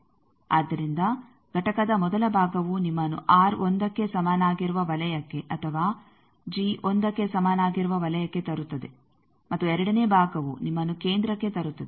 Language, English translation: Kannada, So, the first part of the component that brings you to either R is equal to 1 or g is equal to 1 circle and the second part brings you to the centre